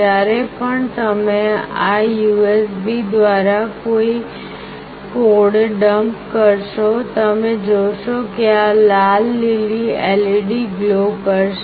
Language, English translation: Gujarati, Whenever you will dump a code through this USB, you will see that this red/green LED will glow